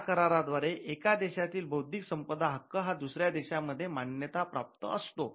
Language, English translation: Marathi, Now, this could also allow for recognition of intellectual property rights of one country in another country